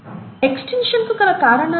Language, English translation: Telugu, What is the cause of extinction